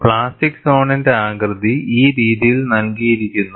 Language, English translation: Malayalam, The plastic zone shape is given in this fashion